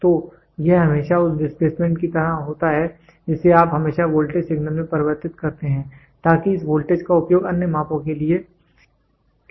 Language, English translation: Hindi, So, it is always like that displacement you always converted into a into a voltage signal, so that this voltage can be used for very other measurements